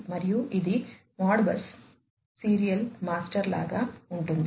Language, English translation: Telugu, And, this could be even like, Modbus serial master